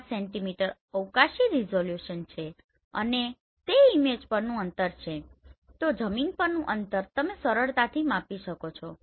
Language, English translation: Gujarati, 5 centimeter spatial resolution so that will be your distance on the image and in the ground you can easily measure this